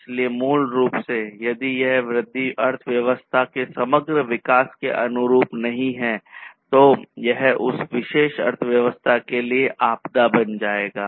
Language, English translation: Hindi, So, basically, if the growth is not conformant with the overall growth of the economy then that will become a disaster for that particular economy